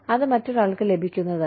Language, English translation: Malayalam, It is not, what the other person is getting